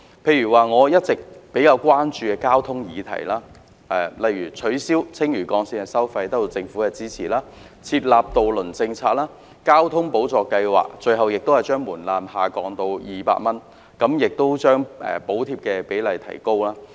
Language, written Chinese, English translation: Cantonese, 例如我一直比較關注的交通議題，取消青嶼幹線收費的建議得到政府支持，還有訂立渡輪政策、把公共交通費用補貼計劃的門檻下降至200元，以及將補貼比例提高。, For example regarding transport issues which is of great concern to me the proposal of waiving the tolls of the Lantau Link has been supported by the Government and efforts have also been made to formulate a ferry policy as well as lower the threshold of the Public Transport Fare Subsidy Scheme to 200 and increase the subsidy rate